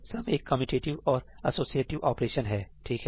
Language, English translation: Hindi, Sum is a commutative and associative operation, right